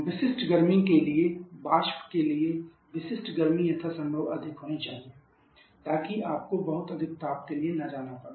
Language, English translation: Hindi, For specific heat the specific heat for the vapour should be as high as possible